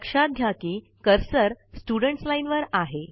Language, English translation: Marathi, Notice that the cursor is in the Students Line